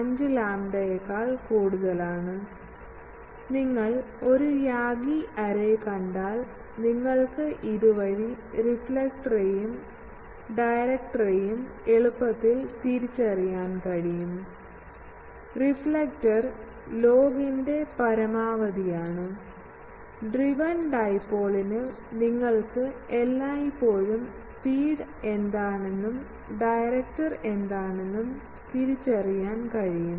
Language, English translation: Malayalam, 5 lambda not, so that is why, if you see an Yagi array, you can easily identify the reflector and the directors by this, reflector is the maximum of the log, the driven dipole you can always identify what the feed is given and director